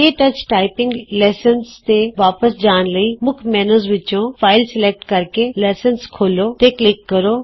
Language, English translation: Punjabi, To go back to the KTouch typing lessons,from the Main menu, select File, click Open Lecture